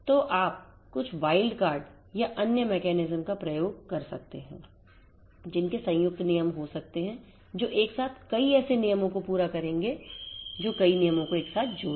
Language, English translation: Hindi, So, you can using some wild card or other mechanisms you can have combined rules which will cater to multiple such rules together which will combine multiple rules together